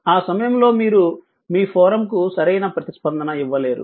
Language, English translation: Telugu, At the time if you cannot will response to your forum right